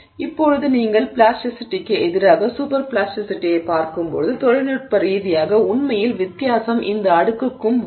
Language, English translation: Tamil, So, now when you look at plasticity versus super plasticity, technically really the difference comes down to this exponent